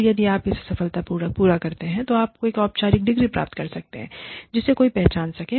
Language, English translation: Hindi, And, if you successfully complete it, you could end up, getting a formal degree, that is recognized by somebody